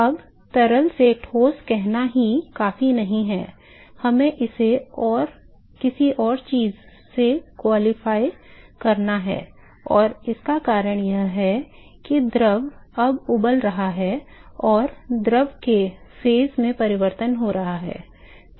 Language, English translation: Hindi, Now it is not just enough to say solid to fluid we have to qualify it with something else and the reason is that the fluid is now boiling and there is change in the phase of the fluid